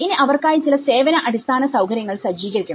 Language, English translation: Malayalam, So, that you know, some service infrastructure could be set up for them